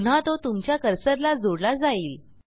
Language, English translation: Marathi, Again it will be tied to your cursor